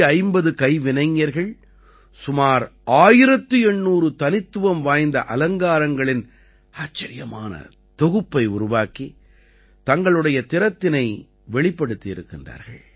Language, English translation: Tamil, 450 artisans have showcased their skill and craftsmanship by creating an amazing collection of around 1800 Unique Patches